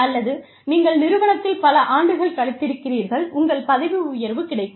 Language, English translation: Tamil, Or, you have spent, so many years in the organization, you get your promotion